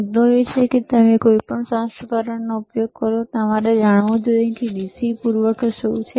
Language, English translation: Gujarati, The the point is that, any version you use, you should know what is the DC power supply, all right